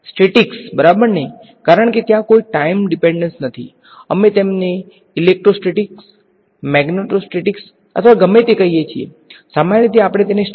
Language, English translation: Gujarati, Statics right, because there is no time dependence, we call them electrostatic magneto statics or whatever; in general we will just call them statics